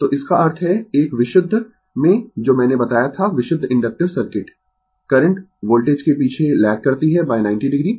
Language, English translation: Hindi, So, that means, in a pure that what I told purely inductive circuit, current lags behind the voltage by 90 degree